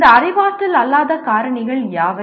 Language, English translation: Tamil, And which are these non cognitive factors